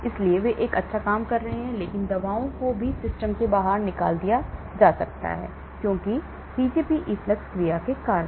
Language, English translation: Hindi, so they are doing a good job but the drugs also can get thrown out of the system because of the Pgp efflux action